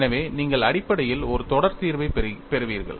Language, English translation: Tamil, So, you essentially get a series solution